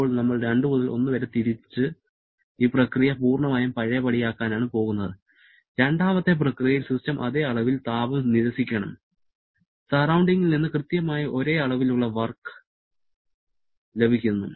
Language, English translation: Malayalam, Now, we are going back from 2 to 1 and to make this process perfectly reversible, then during the second process the system should reject the exactly same amount of heat del Q to the surrounding and receives exactly same amount of work del W from the surrounding